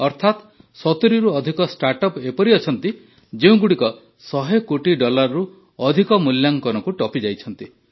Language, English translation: Odia, That is, there are more than 70 startups that have crossed the valuation of more than 1 billion